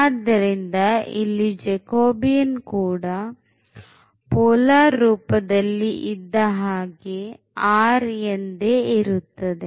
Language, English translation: Kannada, So, we have again the Jacobian which was also in polar coordinate as r